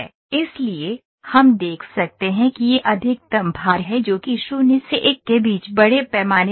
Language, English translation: Hindi, So, we can see the maximum load it is it is showing mass ratio from 0 to 1 here